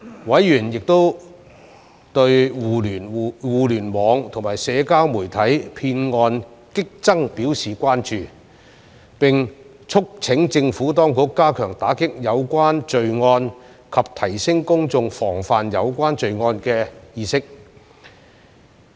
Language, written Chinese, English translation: Cantonese, 委員亦對互聯網和社交媒體騙案激增表示關注，並促請政府當局加強打擊有關罪案及提升公眾防範有關罪案的意識。, Members also expressed concerns over the rapidly increasing number of scams on the Internet and social media and urged the Administration to step up combating relevant crimes and enhance public awareness of such crimes